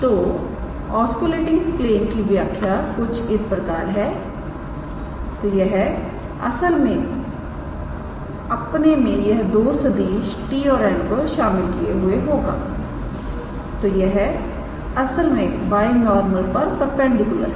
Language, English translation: Hindi, So, the equation of the osculating plane is; so, it is not actually containing, but it is containing two vectors t and n and its actually perpendicular to the binormal